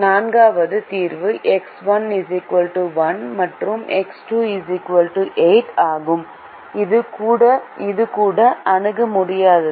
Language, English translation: Tamil, the fourth solution is x one equal to zero and x two equal to eight, which was also infeasible